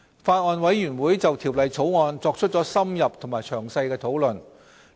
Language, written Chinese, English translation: Cantonese, 法案委員會就《條例草案》作出了深入和詳細的討論。, The Bills Committee has held in - depth and detailed discussions over the Bill